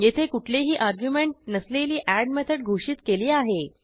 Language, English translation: Marathi, Here we have declared a method called add without any arguments